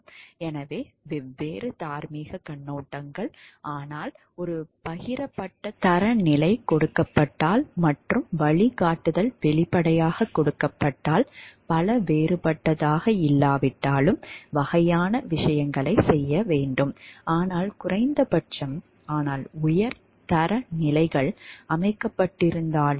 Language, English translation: Tamil, So, different moral viewpoints, but if a shared standard is given and guideline is explicitly given, so though maybe not too many different must be done kind of things; but even if minimum, but hopefully high standards are set